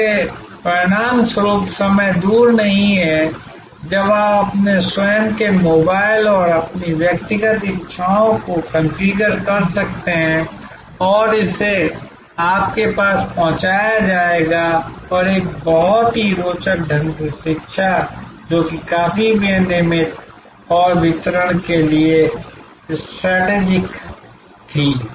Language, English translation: Hindi, As a result of which time is not far, when you can configure your own mobile and your own personal desires and it will be delivered to you and very interestingly, education which was quite regulated and straitjacket for delivery